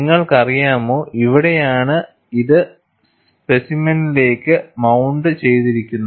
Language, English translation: Malayalam, You know, this is where it is mounted to the specimen